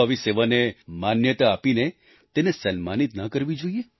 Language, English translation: Gujarati, Should we not recognize such service and bestow it with honour